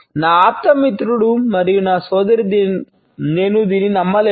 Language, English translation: Telugu, My best friend and my sister I cannot believe this